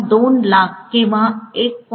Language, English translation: Marathi, 2 lakhs or 1